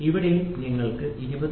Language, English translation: Malayalam, So, here also you will have 20